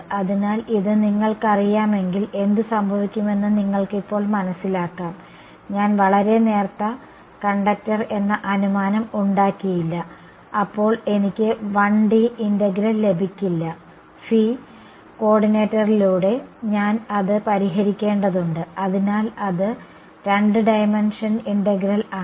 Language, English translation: Malayalam, So now, you can appreciate what would happen if this you know, I did not make the assumption of very thin conductor, then I would not get a 1D integral, I would have to solve it over the phi coordinate also, so it is a two dimension integral